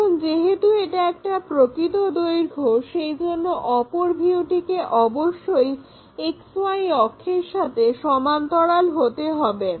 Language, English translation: Bengali, Because it is a true shape is other view must be parallel to XY axis